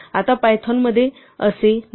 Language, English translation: Marathi, Now in python this is not the case